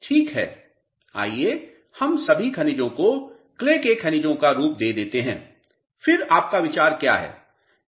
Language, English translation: Hindi, Ok let us let us lump all the minerals as clay minerals, then what is your feeling